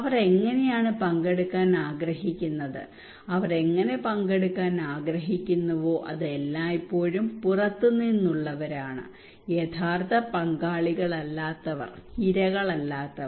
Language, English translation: Malayalam, How they would like to participate okay how they would like to participate it is always the outsiders, those who are not the stakeholders real stakeholders, those who are not the victims